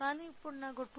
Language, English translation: Telugu, But now I got a 2